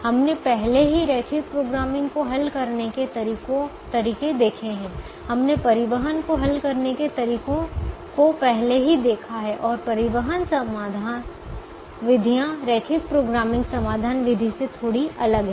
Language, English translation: Hindi, we have already seen methods to solve transportation, and transportation solution methods are slightly different from the linear programming solution method